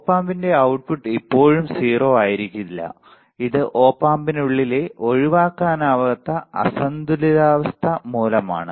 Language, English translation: Malayalam, The output of the Op Amp may not be still 0, this is due to unavoidable imbalances inside the Op Amp